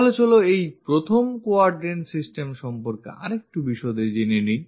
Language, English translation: Bengali, So, let us learn more about this 1st quadrant system